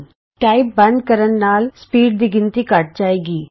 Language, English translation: Punjabi, If you stop typing, the speed count decreases